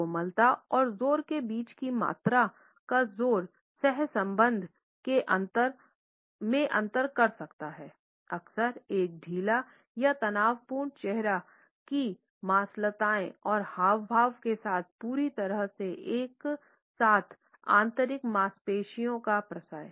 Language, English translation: Hindi, So, loudness of volume between softness and loudness can differentiate in correlation often with a lax or tense facial musculature and gesture perfectly congruent with the internal muscular effort